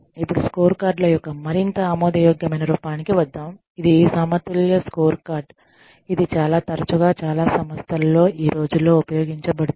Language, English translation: Telugu, Now, let us come to the, more acceptable form of scorecards, which is the balanced scorecard, which is used, most often in an organization, in most organizations, these days